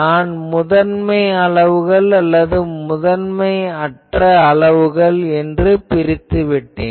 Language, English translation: Tamil, So, I have separated the prime quantities and unprime quantities